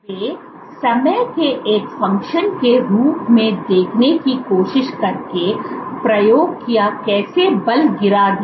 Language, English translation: Hindi, If when they did the experiment of trying to see as a function of time how the force dropped